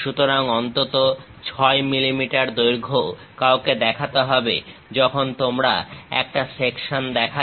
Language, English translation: Bengali, So, minimum 6 mm length one has to show; when you are showing a section